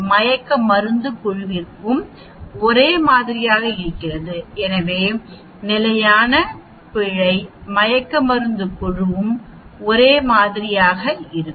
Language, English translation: Tamil, Now CV is the same for the anesthesia group also, so standard error for the anesthesia group also will be the same ok